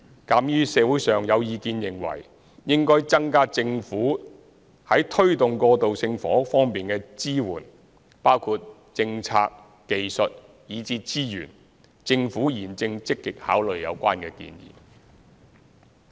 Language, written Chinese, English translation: Cantonese, 鑒於社會上有意見認為應增加政府在推動過渡性房屋方面的支援，包括政策、技術以至資源，政府現正積極考慮有關建議。, Given the opinion from the community that the Government should enhance support to promote transitional housing including policy technology and resources the Government is actively considering the proposal concerned